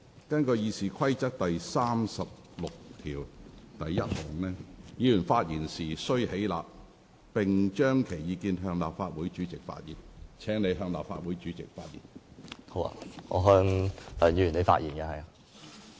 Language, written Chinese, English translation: Cantonese, 根據《議事規則》第361條，議員發言時須起立，並須將其意見向立法會主席陳述，請你向立法會主席發言。, In accordance with Rule 361 of the Rules of Procedure a Member shall speak standing and shall address his observations to the President of the Legislative Council . Please address your remarks to the President of the Legislative Council